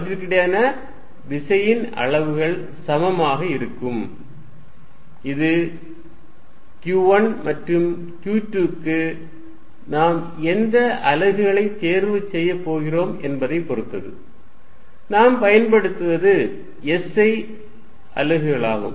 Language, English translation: Tamil, The force between them it is magnitude is going to be equal to and this depends on what units we are going to choose for q 1 and q 2 finally, it is the SI units that we work in